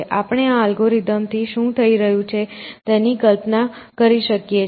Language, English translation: Gujarati, So, we can visualize what is happening with this algorithm